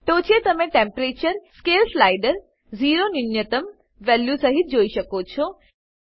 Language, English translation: Gujarati, On the top you can see Temperature: scale slider with zero as minimum value